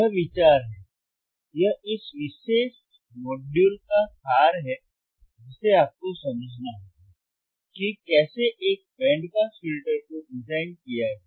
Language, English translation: Hindi, tThat is the idea, that is the gist of this particular module that you have to understand, that the how to design a band pass filter